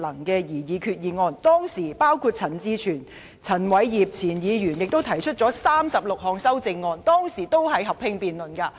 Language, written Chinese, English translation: Cantonese, 當時，陳志全議員和前議員陳偉業就決議案提出36項修正案，而本會就此進行合併辯論。, At that time Mr CHAN Chi - chuen and former Member Albert CHAN had proposed 36 amendments on the resolutions and this Council conducted a joint debate